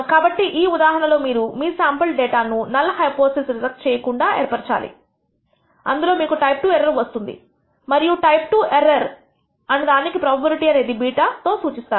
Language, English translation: Telugu, So, in this case it may turn out that from your sample setup data you do not reject the null hypothesis, in which case you commit what we call a type II error and this type II error also has a probability which is denoted by beta